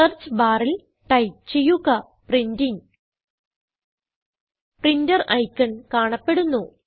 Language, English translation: Malayalam, In the Search bar, type Printing The printer icon will be displayed